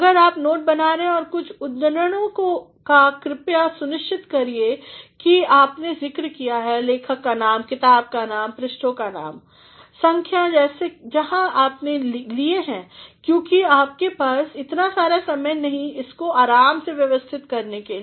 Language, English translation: Hindi, If, you are making note of some quotations please see to it, that you have also mentioned the name of the author the name of the book, the name of the page, numbers from where you have taken, because you do not have too much time at your disposal to arrange it leisurely